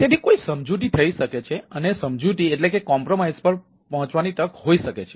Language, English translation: Gujarati, so there may be a compromises and there may be a chance of being compromised